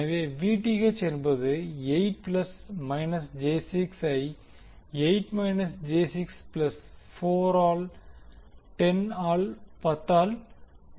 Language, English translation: Tamil, So, Vth will be nothing but 8 plus minus j 6 divided by 8 minus j 6 plus 4 into 10